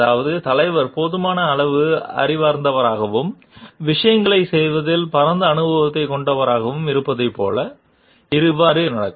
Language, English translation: Tamil, It means so happen like the leader is knowledgeable enough and has wide experience about doing things